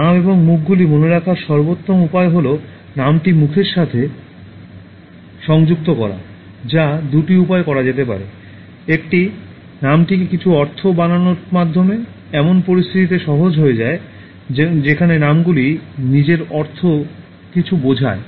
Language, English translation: Bengali, And the best way to remember names and faces is to associate the name to the face which can be done in two ways: One, by making the name mean something this becomes easy in situations where the names themselves mean something